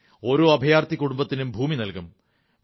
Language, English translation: Malayalam, Each displaced family will be provided a plot of land